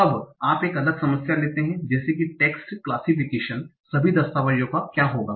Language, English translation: Hindi, Now you take a different problem like text classification